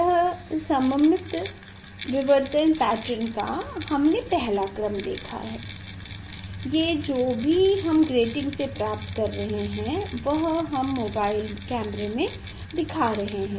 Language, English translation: Hindi, this symmetric first order diffraction pattern we have seen whatever I am seeing through the grating that that only we have we are showing in mobile camera